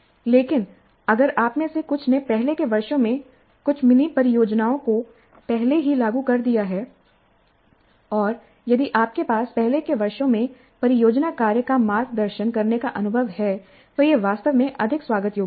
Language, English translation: Hindi, But if some of you have already implemented some mini projects in the earlier years and if you do have an experience in mentoring project work in earlier years, that would be actually more welcome